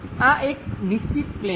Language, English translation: Gujarati, This remains fixed plane